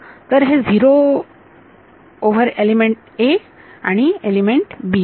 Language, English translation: Marathi, So, this is non zero over element a and element b